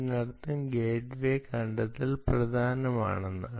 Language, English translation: Malayalam, which means gateway discovery is important